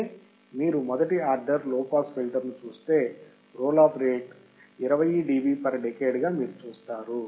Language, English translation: Telugu, That means, if you see the first order low pass filter, you will see that the roll off rate was 20 dB per decade